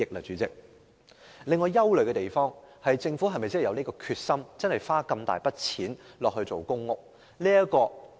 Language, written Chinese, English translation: Cantonese, 主席，我憂慮的是政府有否決心花一大筆金錢興建公屋呢？, President I am concerned about whether the Government is determined to spend such a huge sum on public housing construction